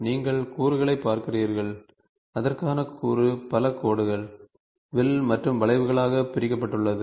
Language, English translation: Tamil, So, you look at the component, the component is this for which the component is divided is divided into several lines, arcs and arcs curves